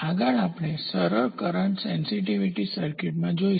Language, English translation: Gujarati, Next we will move into simple current sensitive circuits